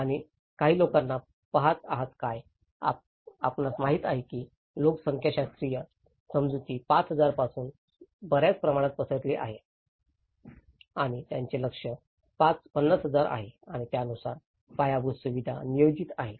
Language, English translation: Marathi, Do you see any people, you know here the demographic understanding has been hyped a lot from 5,000 and they have aimed for 50,000 and the infrastructure is planned accordingly